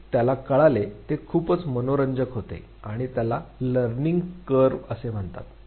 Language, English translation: Marathi, What he realized was very interesting and this is called as Learning Curve